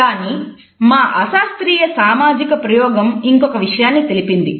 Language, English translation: Telugu, But our unscientific social experiment revealed something more